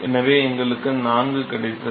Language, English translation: Tamil, So, we got 4